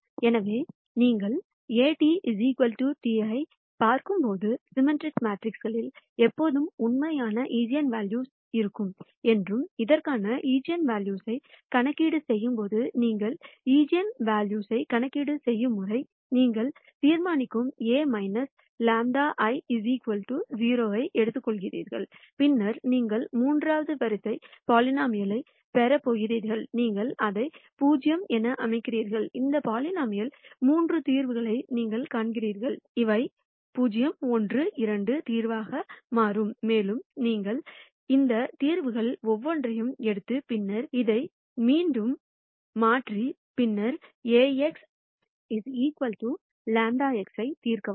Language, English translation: Tamil, And we said symmetric matrices will always have real eigenvalues and when you do the eigenvalue computation for this, the way you do the eigenvalue computation is, you take determinant A minus lambda I equal to 0, then you are going to get a third order polynomial , you set it equal to 0; and then you calculate the three solutions to this polynomial and these would turn out to be the solution 0, 1, 2 and you take each of these solutions and then substitute it back in and then solve for Ax equals lambda x